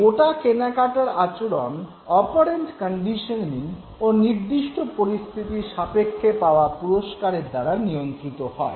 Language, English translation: Bengali, Now the entire purchase behavior is controlled by operant conditioning and the reward that you get out of a given situation